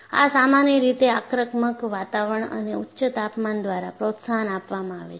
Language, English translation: Gujarati, And this is, usually promoted by aggressive environment and high temperatures